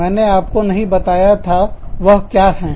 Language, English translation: Hindi, I did not tell you, what they were